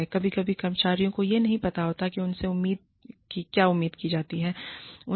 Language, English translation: Hindi, Sometimes, employees do not know, what is expected of them